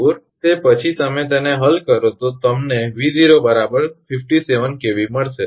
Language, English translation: Gujarati, 74 after that you solve it you will get 57 kV